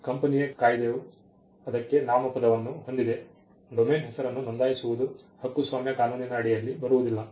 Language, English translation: Kannada, The company’s act has a noun for it, registering a domain name does not come under copyright law